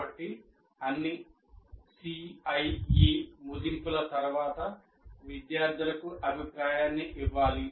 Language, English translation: Telugu, So one needs to give feedback to students after all CIE assessments